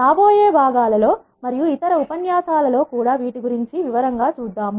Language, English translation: Telugu, We will see in detail about each of this in the coming parts of the lecture and the other lectures also